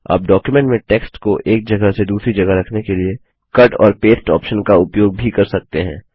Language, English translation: Hindi, You can also use the Cut and paste feature in order to move a text from one place to another in a document